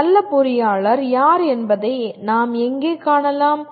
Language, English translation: Tamil, Where do we find who is a good engineer